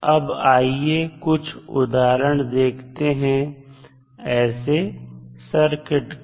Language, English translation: Hindi, Now, let us see the example of such types of circuits